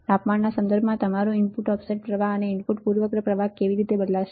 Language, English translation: Gujarati, With respect to the temperature how your input offset current and input bias current would change